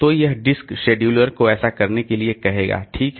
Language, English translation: Hindi, So, it will tell the disk scheduler to do that